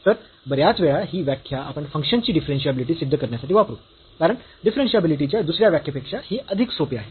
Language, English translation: Marathi, So, we most of the time you will use this definition to prove the differentiability of the function, because this is easier then that the other definition of the differentiability